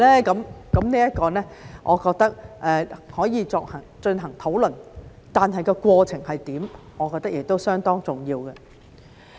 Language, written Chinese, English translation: Cantonese, 這個我認為可以進行討論，但過程是怎樣，我認為亦相當重要。, I think this can be discussed but what is the process? . This I think is very important too